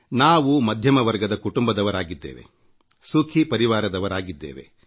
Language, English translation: Kannada, We all belong to the middle class and happy comfortable families